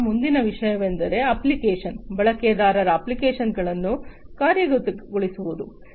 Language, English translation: Kannada, Then the next thing in the cycle is executing the application, the user applications